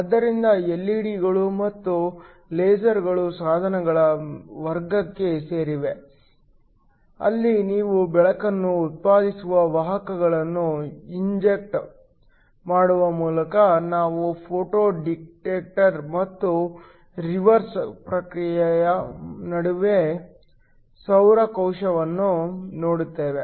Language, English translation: Kannada, So, LED's and lasers belong to the category of devices where by injecting carriers you produce light later we will look at a photo detector and a solar cell where the reverse process happens